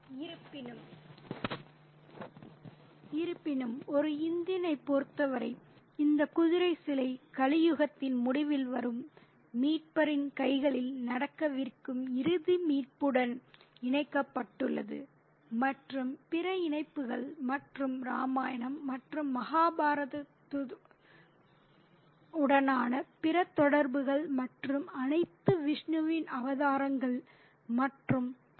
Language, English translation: Tamil, However, for an Indian, that horse statue is connected to the ultimate rescue that's going to happen at the hands of the Redeemer who comes at the end of the Kali Yuga and other connections and other associations with Ramayana and Mahabhartha and all the avatars of Vishnu and so on and so forth